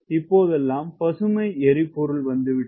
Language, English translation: Tamil, can you make it green fuel, right